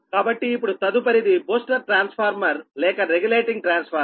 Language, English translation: Telugu, next, is that booster transformer or regulating transformer